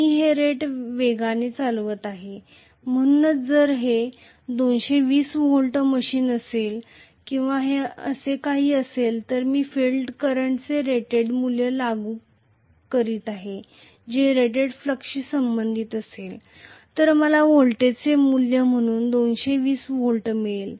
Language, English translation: Marathi, I am operating this at rated speed, so if it is a 220 volts machine or something like that may be then I am applying the rated value of field current which is corresponding to rated flux, I will get 220 volts as the value of voltage, so this is going to be rated voltage